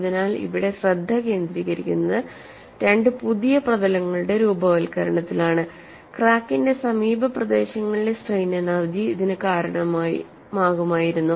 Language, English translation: Malayalam, So, the focus here is for the formation of two new surfaces strain energy in the neighbourhood of the crack would have contributed to this